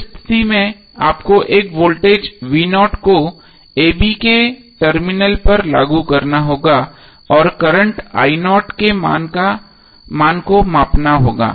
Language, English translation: Hindi, You have to simply apply one voltage vo at the terminal a b and determine the current io